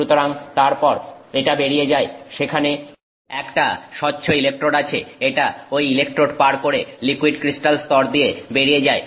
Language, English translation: Bengali, So, then that goes through there is a transparent electrode, it continues past the electrode, it goes through this liquid crystal layer